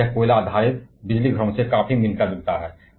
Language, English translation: Hindi, That is, it is quite similar to the coal based power stations